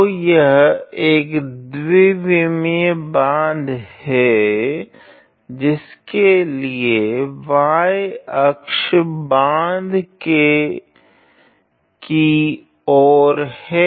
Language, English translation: Hindi, So, it is a 2 D dam and in such a way that the y axis is along the face of the dam